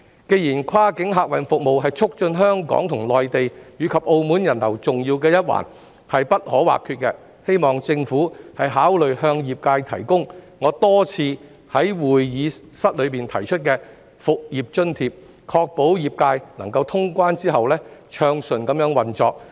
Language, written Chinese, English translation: Cantonese, 既然跨境客運服務是促進香港與內地及澳門人流重要而不可或缺的一環，我希望政府考慮向業界提供我多次在議會提出的復業津貼，確保業界能夠在通關後暢順運作。, As cross - boundary passenger services are crucial and indispensable in facilitating the flow of people among Hong Kong the Mainland and Macao I hope the Government will consider providing the industry with a business resumption allowance as repeatedly proposed by me in this Council so as to ensure that the industry can operate smoothly after resumption of cross - border travel